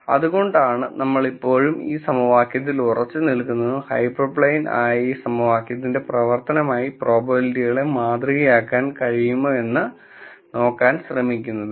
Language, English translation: Malayalam, That is the reason, why we are still sticking to this equation and trying to see if we can model probabilities as a function of this equation, which is the hyper plane